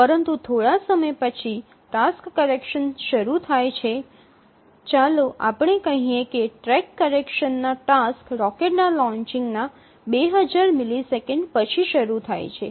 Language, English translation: Gujarati, Let's say that the track corrections task starts after 2,000 milliseconds of the launch of the rocket